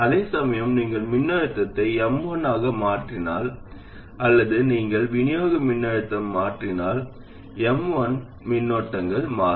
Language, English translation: Tamil, Whereas if you change the voltage to M1, I mean if you change the supply voltage, M1's current will change if this becomes 12 volts instead the current in M1 will increase